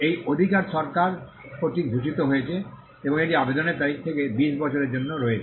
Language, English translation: Bengali, This right is conferred by the government and it is for a period of 20 years from the date of application